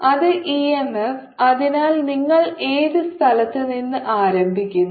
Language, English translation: Malayalam, actually i am that e m f to you start from any point